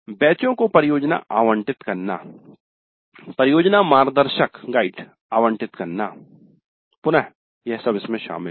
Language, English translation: Hindi, Then allocating projects to batches, allocating project guides, again this is quite involved